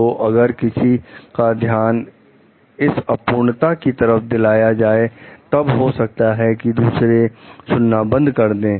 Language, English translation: Hindi, So, if one asks for attention to minor imperfections, so then others maybe will stop listening